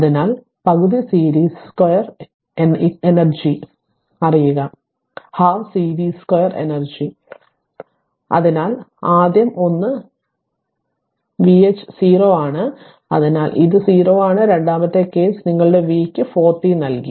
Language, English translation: Malayalam, So, you know half series square energy is equal to, so first one is v h 0 so it is 0, second case your v was given your 4 t right